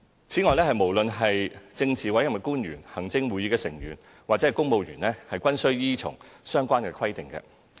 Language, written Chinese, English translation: Cantonese, 此外，無論是政治委任官員、行政會議成員或公務員，均需依從相關規定。, Furthermore PAOs ExCo Members and civil servants are all required to abide by the relevant requirements